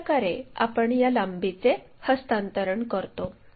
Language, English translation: Marathi, That is the way we transfer this lengths